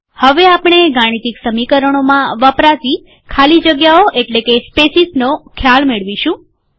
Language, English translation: Gujarati, We will next take up the concept of spaces in mathematical expressions